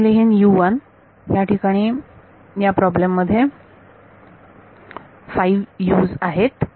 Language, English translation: Marathi, So, I will write U 1 in this problem there are 5 U’s